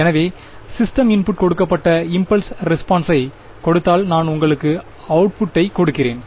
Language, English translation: Tamil, So, given the impulse response given the input to the system f I give you the output